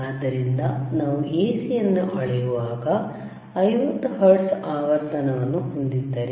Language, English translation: Kannada, So, when we measure the AC, you have 50 hertz frequency